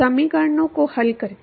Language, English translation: Hindi, By solving the equations